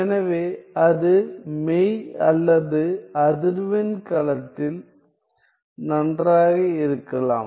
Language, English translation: Tamil, So, it could be either in well; real or the frequency domain